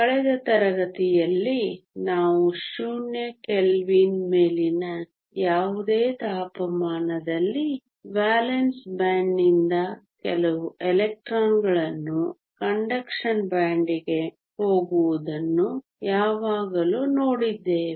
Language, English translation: Kannada, Last class we also saw that at any temperature above Zero Kelvin, you would always have some electrons from the valence band going to the conduction band